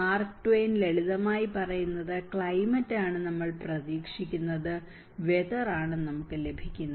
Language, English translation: Malayalam, Mark Twain simply tells climate is what we expect and weather it is what we get